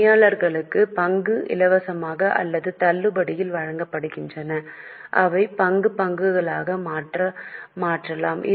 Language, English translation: Tamil, Employees are issued shares either as free or at a discount which they can convert into equity shares